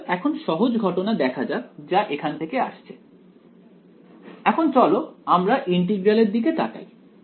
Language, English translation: Bengali, So, all right now let me have the simple case out of the way let us let us look at our the integral that we have